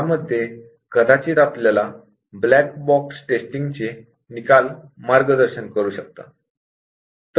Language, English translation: Marathi, So, this we might get guided by the black box testing result